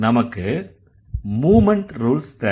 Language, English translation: Tamil, We need the movement rules